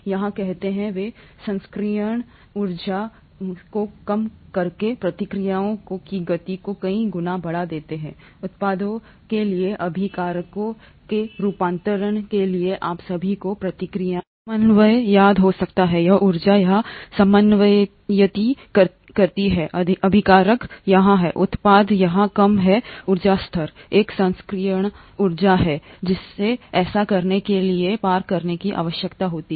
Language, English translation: Hindi, Here, say, they speed of reactions several fold by decreasing the activation energy required for the conversion of reactants to products, you all might remember the reaction coordinate here, the energy coordinate here, the reactants are here, the products are here at a lower energy level, there is an activation energy that needs to be crossed for this to happen